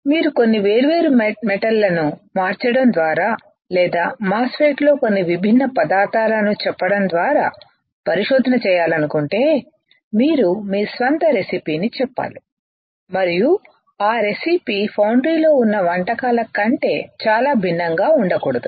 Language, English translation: Telugu, If you want to do a research by changing some different metals or by selling some different materials in a MOSFET, you have to tell your own recipe and that recipe should not be extremely different than the existing recipes in the foundry